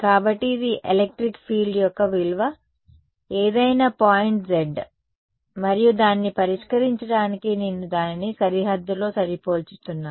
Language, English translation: Telugu, So, this is the value of the electric field that any point z and to solve it I am matching it on the boundary